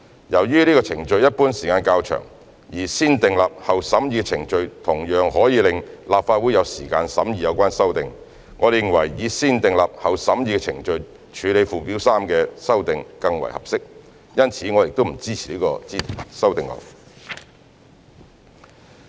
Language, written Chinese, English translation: Cantonese, 由於此程序一般需時較長，而"先訂立後審議"的程序同樣可以讓立法會有時間審議有關修訂，我們認為以"先訂立後審議"的程序處理附表3的修訂更為合適，因此我們不支持這項修正案。, Since the positive vetting procedure usually takes a longer time whereas the negative vetting procedure also allows time for the Legislative Council to examine the relevant amendments we consider it more appropriate to adopt the negative vetting procedure for handling amendments to Schedule 3 . Hence we do not support this amendment